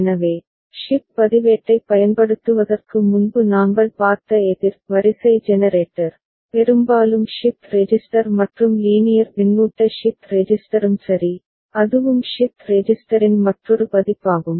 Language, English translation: Tamil, So, the counter sequence generator we had seen before using shift register, mostly shift register and linear feedback shift register also, alright and that is also another version of a shift resigister